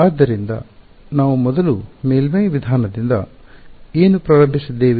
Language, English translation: Kannada, So, we started with the surface approach first what